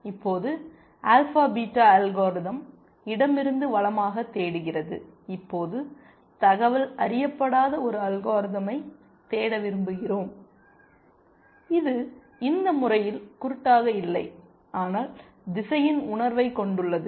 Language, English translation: Tamil, Now, alpha beta algorithm searches from left to right and we want to now look for a algorithm which is not uninformed, which is not blind in this manner, but has a sense of direction